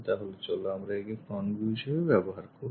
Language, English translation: Bengali, So, let us use that one as the front view